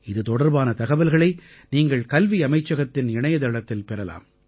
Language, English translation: Tamil, Information about this can be accessed from the website of the Ministry of Education